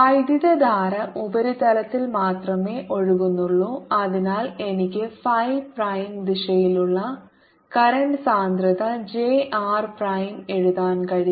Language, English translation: Malayalam, the current flows only on the surface and therefore i can write current density, j r prime, which is in the phi prime direction